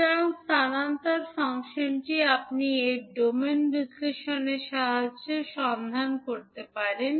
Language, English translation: Bengali, So, the transfer function you can find out with the help of the s domain analysis